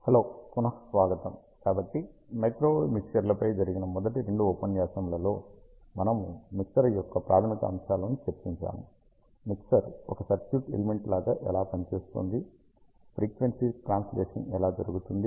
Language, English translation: Telugu, So, in the first two lectures of microwave mixers, we discussed about the fundamentals of mixers, how mixer works as a circuit element, how the frequency translation happens